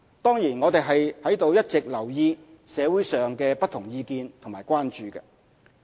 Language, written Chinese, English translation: Cantonese, 當然，我們在一直留意社會上的不同意見和關注。, Needless to say we have been paying attention to the different comments and concerns in society